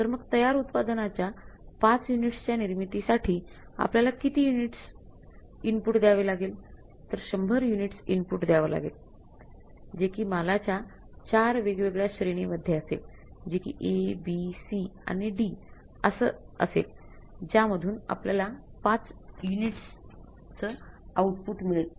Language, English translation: Marathi, So, it means for manufacturing the 5 units of the finished product you have to give how many units of the input that is the 100 units of the input of the 4 different categories of materials A, B, C and D to get the 5 units of the output